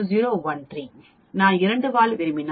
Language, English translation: Tamil, If I want a 2 tail, it will become 0